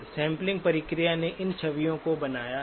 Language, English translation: Hindi, Sampling process has created these images